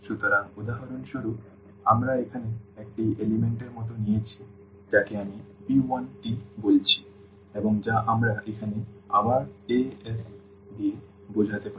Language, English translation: Bengali, So, for example, we have taken like one element here which I am calling p 1 t and which we can denote again here this with a’s